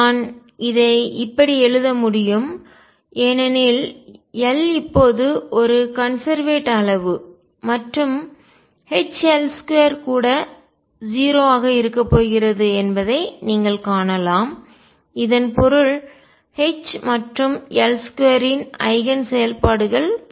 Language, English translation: Tamil, I can write this because L now is a conserved quantity and you can see from this that H L square is also going to be 0 this means eigen functions of H and L square are common